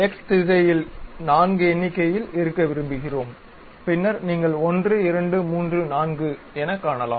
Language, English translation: Tamil, Such kind of objects we would like to have four in number in the X direction, then you can see 1 2 3 4